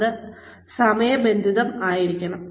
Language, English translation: Malayalam, It has to be timely